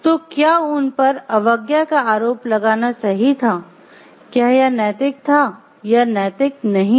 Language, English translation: Hindi, So, was it correct to like put them on a charge of insubordination, was it ethical or not ethical